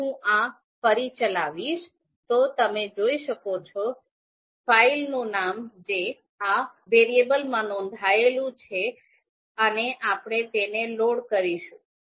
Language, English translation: Gujarati, Now if I run this again, then you can see name of the file is you know recorded in this variable and we will load this